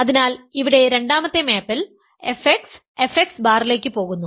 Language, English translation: Malayalam, So, this here; so, here of course, f x goes to f x bar the second map